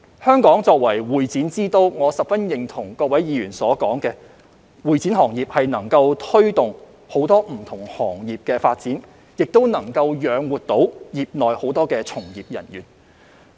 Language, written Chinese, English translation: Cantonese, 香港作為會展之都，我十分認同各位議員所說，會展行業能推動很多不同行業的發展，亦能養活業內很多從業人員。, As Hong Kong is the capital of convention and exhibition I very much agree with Members that the convention and exhibition industry can facilitate the development of many different industries and support many people working in the industry